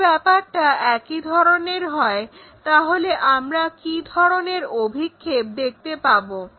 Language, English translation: Bengali, If that is the case, what is the projection you are seeing